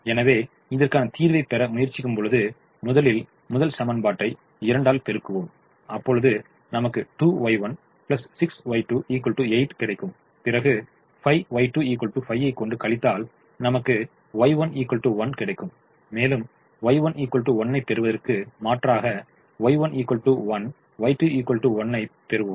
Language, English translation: Tamil, so when i solve for this, when i multiply the first equation by two, i will get two, y one plus six, y two is equal to eight, and i subtract five, y two is equal to five, i will get y two equal to one and i'll substitute to get y one equal to one, so i get y one equal to one, y two equal to one